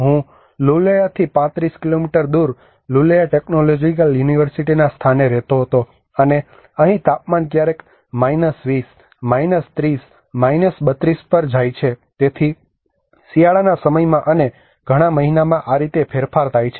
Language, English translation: Gujarati, I used to live in Lulea Technological University place called Roneo which is 35 kilometres from Lulea, and here the temperature goes off to sometimes 20, 30, 32 so this is how the variance in the winter times and many of the months we do not see even the sunlight